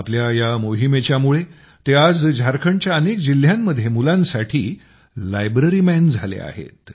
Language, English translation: Marathi, Because of this mission, today he has become the 'Library Man' for children in many districts of Jharkhand